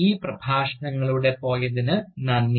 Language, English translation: Malayalam, Thank you, for bringing us, through these Lectures